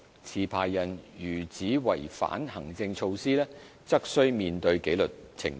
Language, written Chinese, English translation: Cantonese, 持牌人如只違反行政措施，則須面對紀律程序。, Licensees who contravene only the administrative measures will be subject to the disciplinary proceedings